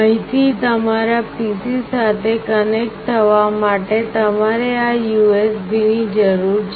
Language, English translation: Gujarati, For connecting from here to your PC you require this USB